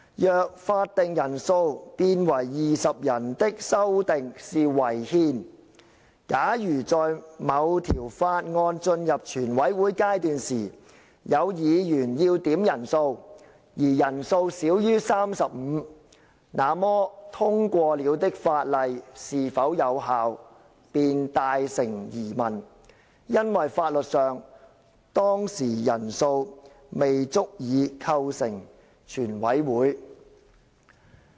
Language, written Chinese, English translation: Cantonese, 若法定人數變為20人的修訂是違憲，假如在某條法案進入全委會階段時有議員要點人數，而人數少於 35， 那麼通過了的法例是否有效，便大成疑問，因為法律上當時人數未足以構成全委會。, If the amendment to lower the quorum to 20 Members is unconstitutional and if a Member requests a headcount after a bill enters the Committee stage and there are less than 35 Members present it becomes questionable whether the passed bill is legally in effect since legally speaking the Council does not have sufficient Members to constitute a Committee of the Whole Council